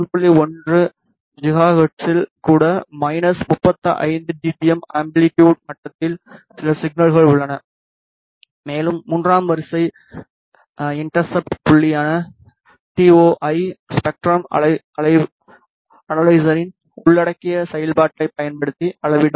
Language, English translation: Tamil, 1 gigahertz we do have some signal at an amplitude level of minus 35 dBm and the TOI which is third order intercept point can be measured by using inbuilt functionality of the spectrum analyzer